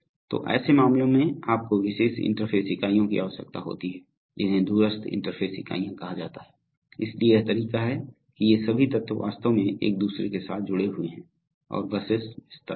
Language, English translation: Hindi, So in such cases, you need special interface units which are called remote interface units, so this is the way that all these elements are actually connected with each other and buses are extended